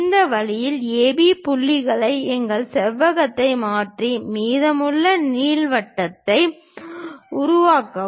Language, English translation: Tamil, In this way locate AB points transfer our rectangle and construct the remaining ellipse